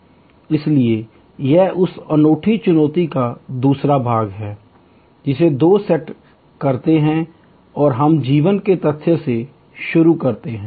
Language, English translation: Hindi, So, this is the second part of that same unique challenge set two and we start with the fact of life